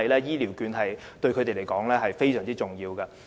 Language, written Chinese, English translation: Cantonese, 醫療券對他們而言，十分重要。, These vouchers are very important to them